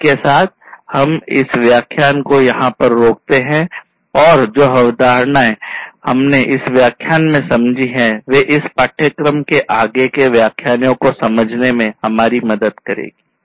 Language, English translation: Hindi, With this we stop over here and these lectures will these the concepts, that we have covered in this lecture will help in further understanding of the later lectures, that we are going to cover in this course